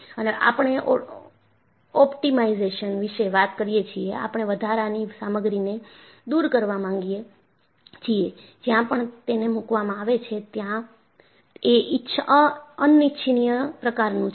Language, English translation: Gujarati, And, when we talk about optimization, we want to remove extra material, wherever it is placed, which are unwanted